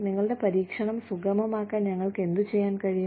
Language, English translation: Malayalam, What can we do, to facilitate your experimentation